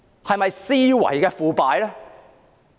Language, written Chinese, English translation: Cantonese, 是否思維的腐敗？, Is this corruption of thinking?